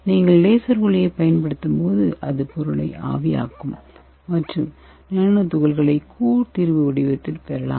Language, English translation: Tamil, And when you apply the laser light it will vaporize the material and the nanoparticles can be obtained in the colloidal solution form